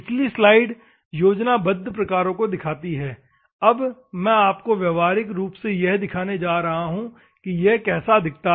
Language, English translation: Hindi, That previous slide shows the schematic ones; now I am going to show you practically how it looks like